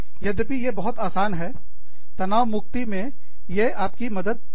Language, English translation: Hindi, But, these are very simple things that, they help you, relieve the stress